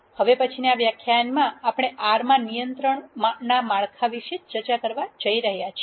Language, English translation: Gujarati, In the next lecture we are going to discuss about the control structures in R